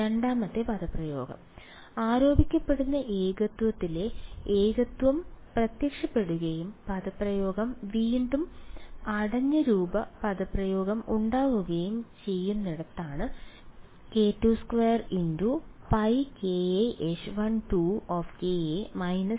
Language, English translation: Malayalam, The second expression is where the singularity at the alleged singularity appears and the expression is again there is a closed form expression pi k a H 1 2 of ka minus 2 j